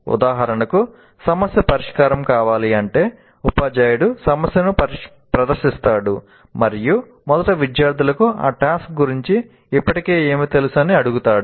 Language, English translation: Telugu, For example, if a problem is to be solved, presents the problem, and first ask the students what is that they already know about the task